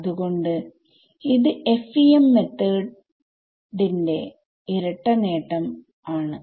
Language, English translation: Malayalam, So, these are like double advantage of FEM methods